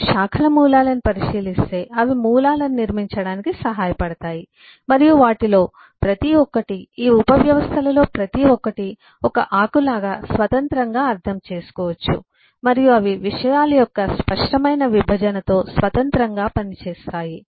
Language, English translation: Telugu, If you look at branch roots, they help to build up roots and e a each one of them, each one of these subsystems can be independently understand like a leaf, and they work independently with a clear separation of concern